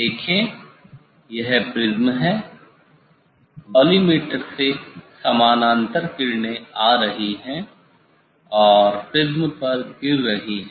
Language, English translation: Hindi, see this is the prism from collimator parallel rays are coming and falling on the prisms